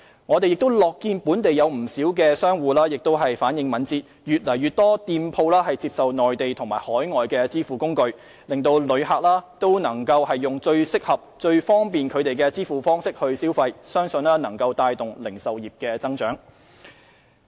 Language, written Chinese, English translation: Cantonese, 我們亦樂見本地不少商戶也反應敏捷，越來越多店鋪接受內地和海外支付工具，讓旅客以最適合、最方便他們的支付方式消費，相信能帶動零售業增長。, We are also pleased to see quite a number of local merchants responding quickly with more and more shops accepting Mainland and overseas payment facilities to enable tourists to use payment methods considered by them to be the most suitable and convenient and hopefully drive retail growth